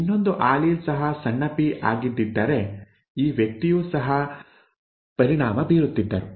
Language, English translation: Kannada, If the other allele had been a small p then this person would have also been affected